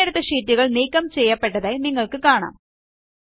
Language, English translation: Malayalam, You see that the selected sheets get deleted